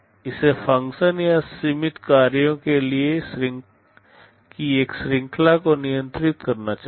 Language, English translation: Hindi, It should control a function or a range of limited set of functions